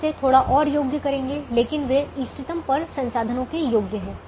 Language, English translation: Hindi, we'll qualify it a little more, but they are the worth of the resources at the optimum